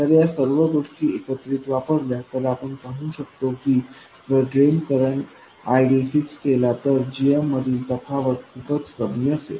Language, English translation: Marathi, So putting all these things together, we can see that if you fix the drain bias current ID, the variation in GM is per volt square